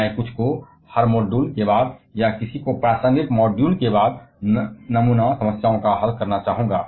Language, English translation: Hindi, I would also like to solve some sample problems after every module or after any relevant module